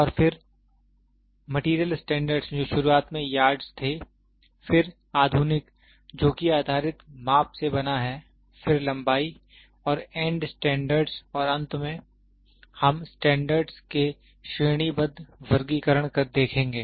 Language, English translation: Hindi, And then, the materials standards which were initially Yards, then modern which is made out of wavelength based measurement then length and end standards and finally, we will see hierarchical classifications of standards